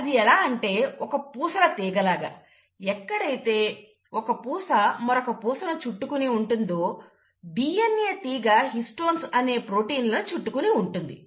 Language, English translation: Telugu, So it's like, you have a string of beads, where each bead around that bead, the DNA strand wraps, and those proteins are called as the Histones